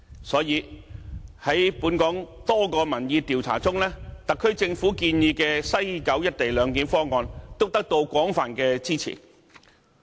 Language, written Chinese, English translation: Cantonese, 所以，在本港多項民意調查中，特區政府建議的西九"一地兩檢"方案，都得到廣泛支持。, Among the various opinion polls conducted in Hong Kong the co - location arrangement at West Kowloon Station proposed by the SAR Government thus got wide support from respondents